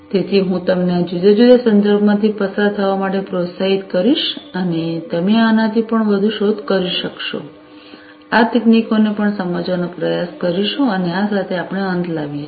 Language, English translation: Gujarati, So, I would encourage you to go through these different references and you could search for even more and try to understand these technologies even further with this we come to an end